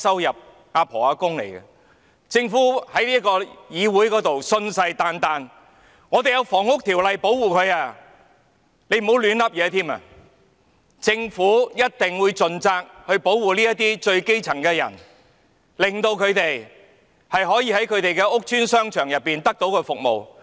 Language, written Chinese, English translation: Cantonese, 然而，政府在這個議會信誓旦旦指這些人士受《房屋條例》保護，叫大家不要亂說，又表示政府一定會盡責，保護這些基層人士，讓他們可以在其屋邨商場獲得服務。, Nevertheless the Government gave this Council a categorical assurance that these persons were protected by the Housing Ordinance and asked us not to make irresponsible remarks adding that the Government would definitely do its part to protect the grass roots so that they could get services at the shopping arcades of their housing estates